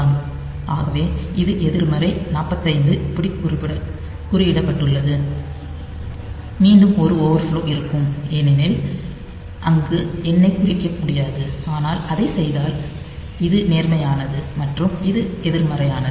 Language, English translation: Tamil, So, this is coded like this negative of 45 coded like this again there will be an overflow, because we cannot represent the number there, but if we do it say this is positive and this is negative